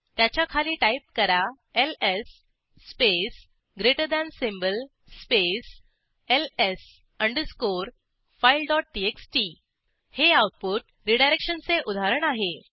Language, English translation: Marathi, sort Below it, type ls space greater than space ls underscore file.txt This is an example of output redirection